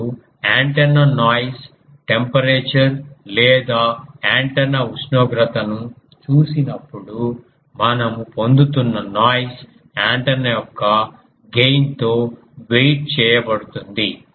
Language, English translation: Telugu, Now, we have already seen when we have seen the antenna noise temperature or antenna temperature that whatever noise you are getting that gets waited by the gain of the antenna